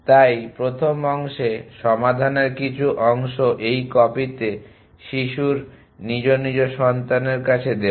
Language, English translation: Bengali, So, first part some part of the solution in this copy in to the child is respective child